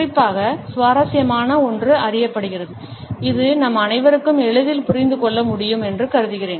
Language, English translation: Tamil, A particularly interesting one is known as which I presume all of us can understand easily